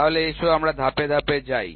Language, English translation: Bengali, So, let us go step by step